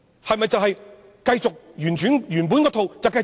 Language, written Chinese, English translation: Cantonese, 是否會繼續沿用原來那一套呢？, Will they continue to follow the established set of policies?